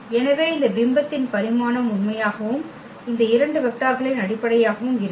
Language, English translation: Tamil, So, the dimension of this image is going to be true and the basis these two vectors